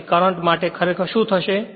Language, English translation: Gujarati, Then current actually what will happen